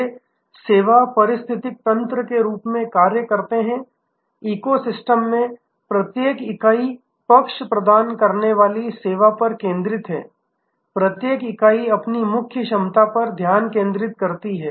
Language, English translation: Hindi, These act as service ecosystems, each entity in the eco system focuses on the service providing side, each entity focuses on its core competence